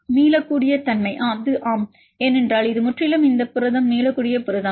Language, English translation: Tamil, So, reversibility it is yes because it is completely this protein is reversible protein